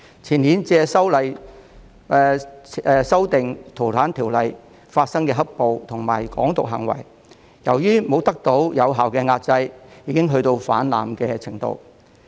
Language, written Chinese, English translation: Cantonese, 前年由修訂《逃犯條例》引致的"黑暴"和"港獨"行為，由於沒有得到有效的壓制，已經達到泛濫的程度。, As the black - clad violence and Hong Kong independence acts arising from the amendment of the Fugitive Offenders Ordinance in the year before last have not been suppressed effectively they have reached an alarming level